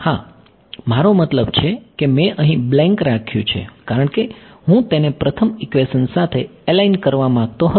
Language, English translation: Gujarati, Yeah I mean I am just I left a blank here because I wanted to align it with the first equation that is all